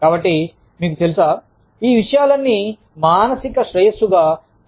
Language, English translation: Telugu, So, you know, all of these things count as, psychological well being